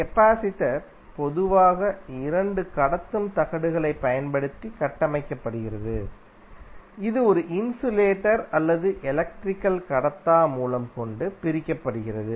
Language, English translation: Tamil, So, capacitor is typically constructed using 2 conducting plates, separated by an insulator or dielectric